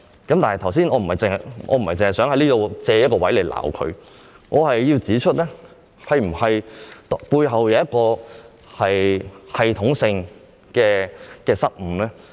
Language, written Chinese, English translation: Cantonese, 但是，我不是要藉此機會責罵政府，而是要指出背後是否出現了系統性的失誤。, However it is not my intention to take this opportunity to blame the Government for this and I would instead like to point out if this can be attributed to a systematic failure